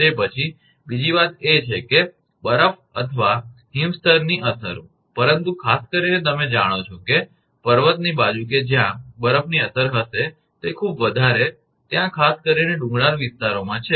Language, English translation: Gujarati, Then, another thing is that effects of snow or frost layer, but particularly in that you know mountain side that effect of snow are will be there, it is very much there particular in the hilly areas